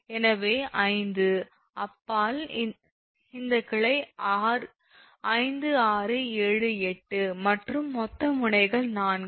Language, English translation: Tamil, so five beyond this branch, it is five, six, seven, eight right and total nodes are four